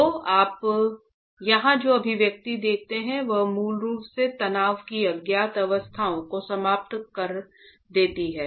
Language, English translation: Hindi, So you see that the two, the expression that you see here basically eliminates the unknown states of stress